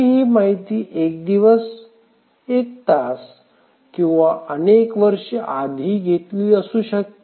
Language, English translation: Marathi, It could have been entered the previous day, previous hour or may be several years back